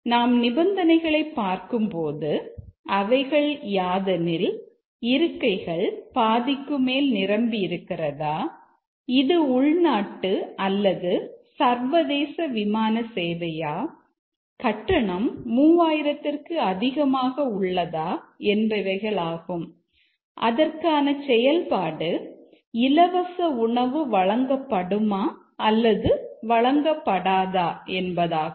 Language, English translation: Tamil, If we look at the conditions, the conditions are whether more than half full, it is a domestic or international flight and ticket cost greater than 3,000, these are the three conditions and the action is free meal served or not